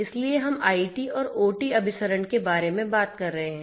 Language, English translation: Hindi, So, we are talking about IT and OT convergence right